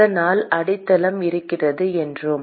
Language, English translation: Tamil, So we said that there is a base